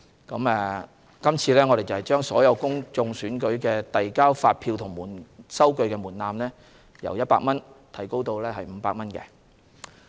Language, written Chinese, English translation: Cantonese, 我們這次亦將所有公共選舉遞交發票及收據的門檻由100元提高至500元。, This time around we also revise the threshold for submission of invoices and receipts from 100 to 500 for all public elections